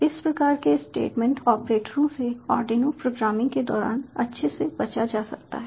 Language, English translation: Hindi, these kind of statement operators are best avoided during arduino programming